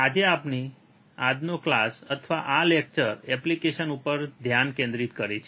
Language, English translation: Gujarati, So, today’s class or this lecture is focused on the application